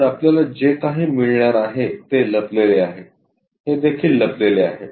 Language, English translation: Marathi, So, what we are going to have is this is hidden this one also hidden